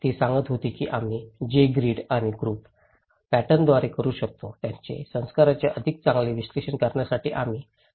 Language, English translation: Marathi, She was telling that we can do it through the grid and group pattern, we can categorize the culture in order to analyse them better